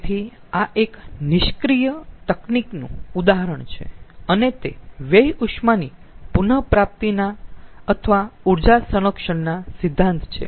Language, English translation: Gujarati, so this is an example of a passive technique and it goes hand in hand with the waste heat recovery or the energy conservation principle